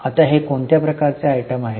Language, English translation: Marathi, Now it is what type of item